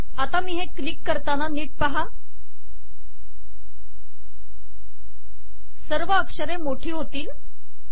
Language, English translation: Marathi, Alright now, watch this as I click this all the letters will become bold